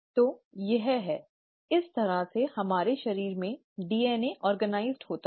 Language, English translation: Hindi, So, that is what, that is how the DNA in our body is organized